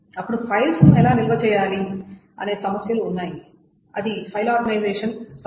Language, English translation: Telugu, Then there are these problems of how to store the files, the issue of file organization